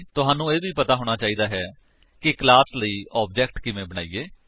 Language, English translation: Punjabi, You must also know how to create an object for the class